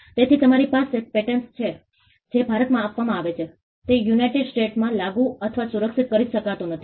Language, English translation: Gujarati, So, you have a patent which is granted in India cannot be enforced or protected in the United States